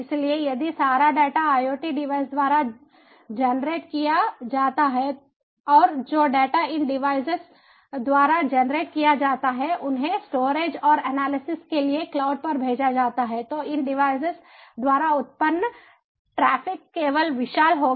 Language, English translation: Hindi, so if all the data are generated by iot devices and those data that are generated by these devices are sent to the cloud for storage and analysis, then the traffic generated by these devices will be simply gigantic